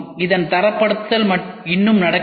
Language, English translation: Tamil, The standardization of this has not still happened